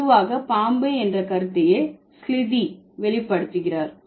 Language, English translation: Tamil, So, and slithy generally conveys the idea of a snake